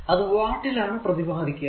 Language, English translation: Malayalam, So, power is measured in watts